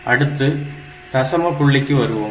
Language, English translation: Tamil, So, this is the decimal number system